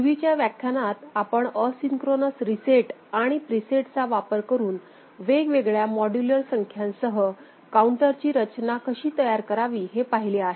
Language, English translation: Marathi, In earlier lectures we have seen how to design Counter with different modular numbers using asynchronous reset and a preset